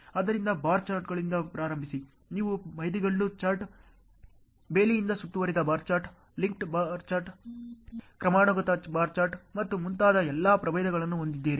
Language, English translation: Kannada, So starting from bar charts, you have all the varieties like milestone chart, fenced bar chart, linked bar chart, hierarchical bar chart and so on